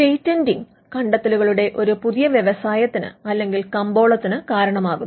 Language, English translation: Malayalam, Now, whether patenting results in a new invention industry or a market